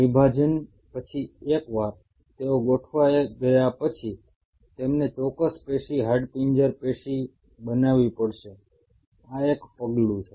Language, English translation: Gujarati, Post division, once they have aligned, they have to make a particular tissue, skeletal tissue